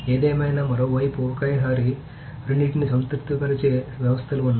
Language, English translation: Telugu, Anyway, so there are systems on the other hand that can satisfy two of it at one time